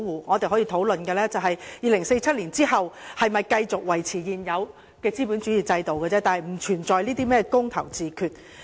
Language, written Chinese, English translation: Cantonese, 我們可以討論的只是在2047年後是否繼續維持現有資本主義制度的問題，但並不存在甚麼"公投自決"。, All that is open to discussion is whether the existing capitalist system will be maintained after 2047 but there is no question of holding a referendum on self - determination or whatsoever